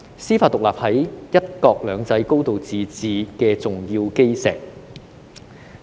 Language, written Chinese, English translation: Cantonese, 司法獨立是"一國兩制"和"高度自治"的重要基石。, Judicial independence is an important cornerstone of one country two systems and high degree of autonomy